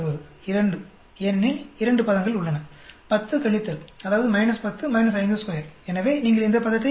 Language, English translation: Tamil, 2, because there are two terms, 10 minus, that is minus 10 minus 5 square, so you get this term